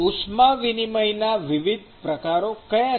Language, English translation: Gujarati, So, what are the different modes of heat transfer